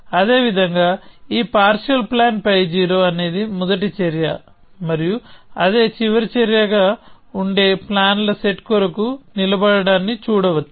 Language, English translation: Telugu, Likewise, this partial plan pi 0 can be seen to stand for a set of plans in which this is the first action and that are the last action